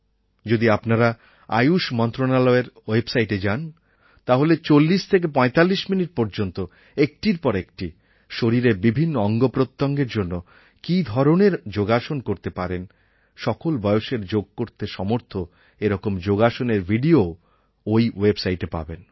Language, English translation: Bengali, If you go to the website of the Ministry of Ayush, you will see available there a 4045 minutes very good video demonstrating one after another, different kinds of yog asanas for different parts of the body that you can do, people of all ages can do